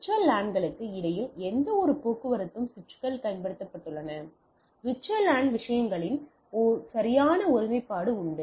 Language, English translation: Tamil, Switches may not bridge any traffic between VLANs, as would valid integrity of the VLAN things right